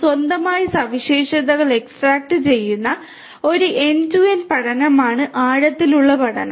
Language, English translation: Malayalam, Deep learning is an end to end learning which extracts features on its own